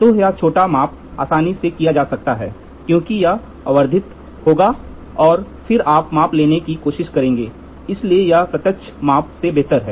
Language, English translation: Hindi, So, this small measurement can be easily done because this will be magnified and then you try to take, so it is better than the direct measurement